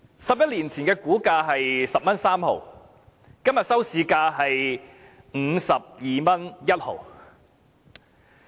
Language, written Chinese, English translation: Cantonese, 十一年前的股價為 10.3 元，今天的收市價是 52.1 元。, Eleven years ago its stock price was 10.3 compared to todays closing price of 52.1